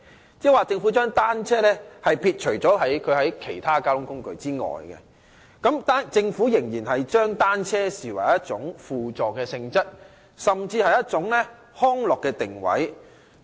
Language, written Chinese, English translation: Cantonese, 換言之，政府把單車撇除在其他公共交通工具之外，仍然把單車視為一種輔助性質的工具，甚至是康樂的定位。, In other words bicycles are excluded by the Government from other public transport modes . Bicycles are still regarded as a supplementary transport mode or even positioned for recreational purposes